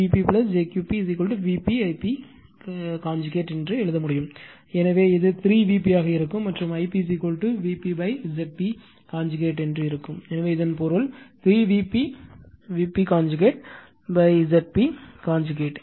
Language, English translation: Tamil, P p plus jQ p is equal to we can write V p I p conjugate we have seen, so it will be 3 V p, and I p will be is equal to V p upon Z p whole conjugate, so that means, 3 V p V p conjugate upon Z p conjugate